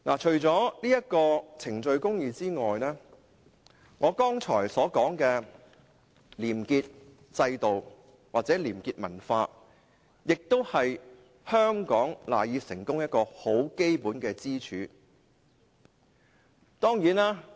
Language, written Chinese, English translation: Cantonese, 除了程序公義外，我剛才所說的廉潔制度或廉潔文化，也是香港賴以成功的基本支柱。, Apart from procedural justice I have also mentioned the clean system and the probity culture which are the pillars underpinning the success of Hong Kong